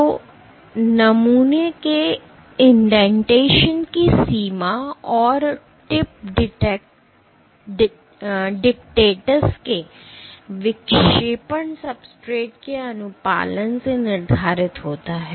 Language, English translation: Hindi, So, the extent of indentation of the sample and the deflection of the tip dictates is dictated by the compliance of the substrate